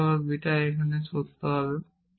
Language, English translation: Bengali, but if you have made alpha is true here